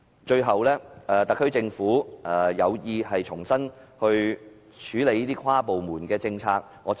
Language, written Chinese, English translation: Cantonese, 最後，特區政府有意重新改善跨部門政策協調。, Lastly the SAR Government intends to enhance the coordination of departments in policy implementation